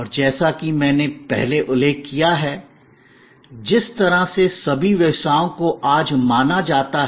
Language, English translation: Hindi, And as I mentioned earlier, in the way all businesses are perceived today